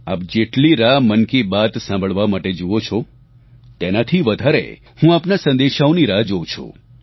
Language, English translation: Gujarati, Much as you wait for Mann ki Baat, I await your messages with greater eagerness